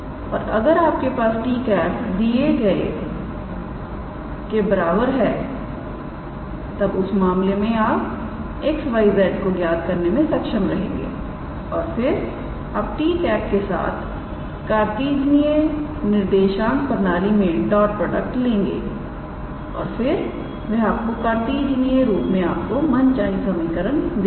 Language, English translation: Hindi, And if you have t equals to a given then in that case you can be able to calculate this small x y z and then you take dot product with t in terms of the Cartesian coordinate system and that will give you required equation in the Cartesian form